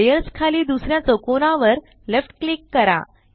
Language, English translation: Marathi, Left click the second square under Layers